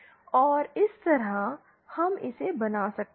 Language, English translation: Hindi, And that way we can realise it